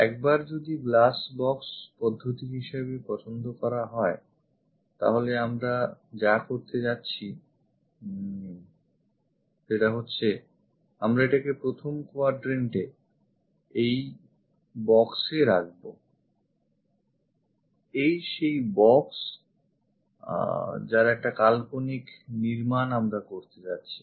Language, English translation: Bengali, Once it is chosen as glass box method, what we are going to do is; we keep it in the first quadrant this box something like this is the box what we are going to construct imaginary one